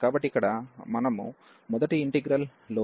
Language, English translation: Telugu, So, here the f x in the first integral was 1 over x and x minus 1